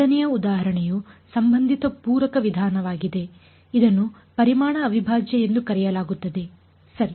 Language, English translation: Kannada, The 2nd example is going to be related complementary method which is called volume integral ok